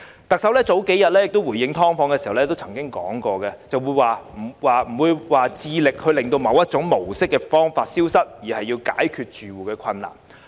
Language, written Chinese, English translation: Cantonese, 特首幾天前回應"劏房"問題時表示，她並非要致力令某一種居住模式消失，而是要解決住戶的困難。, In response to a question on SDUs a few days ago the Chief Executive said that she was determined not to wipe out a particular mode of living but to resolve the difficulties of SDU tenants